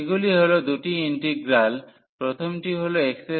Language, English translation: Bengali, So, these are the two integral the first one is x square